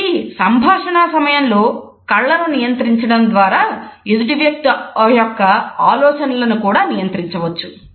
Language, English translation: Telugu, So, controlling eyes during the dialogue also controls the thought patterns of the other person